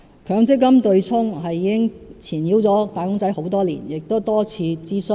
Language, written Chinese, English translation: Cantonese, 強積金"對沖"已經纏繞"打工仔"多年，亦曾多次進行諮詢。, The MPF offsetting arrangement has plagued wage earners for years and many consultation exercises have been conducted